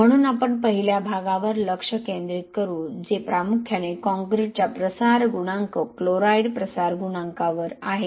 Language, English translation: Marathi, So we will focus on the first part which is on mainly on the diffusion coefficient of the concrete, chloride diffusion coefficient